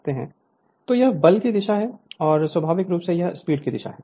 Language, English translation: Hindi, So, this is the direction of the force and naturally this is the direction of the motion right